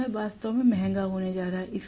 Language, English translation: Hindi, So, it is going to be really expensive